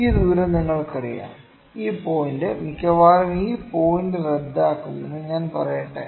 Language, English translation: Malayalam, You know, this distance let me say this point would cancel almost this point, ok